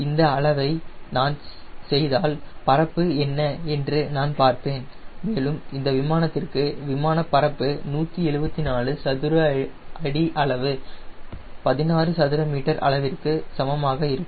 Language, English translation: Tamil, once i do this span, i will look for what is the area, and for this aeroplane area is around one seventy four square feet, which is equivalent to around sixteen meter square